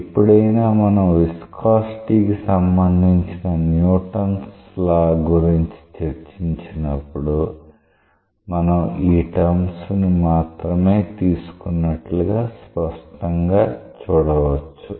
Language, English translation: Telugu, So, whenever we have discussed about the Newton s law of viscosity; you clearly see that this is the term that we had actually taken